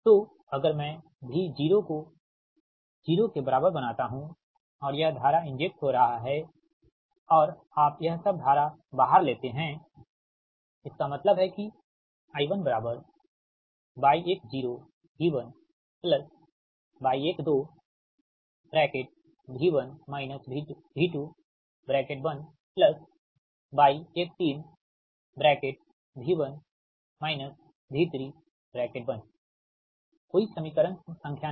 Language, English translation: Hindi, so if i make v zero is equal to zero and this current is getting injected and you take all this current out, then i one is equal to your first